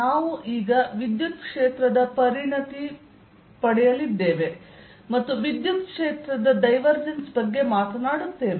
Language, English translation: Kannada, we are now going to specialize to electric field and talk about the divergence of an electric field